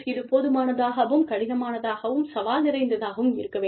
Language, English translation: Tamil, It has to be sufficiently, difficult and challenging